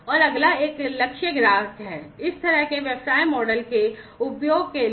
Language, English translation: Hindi, These are target customers of this kind of business model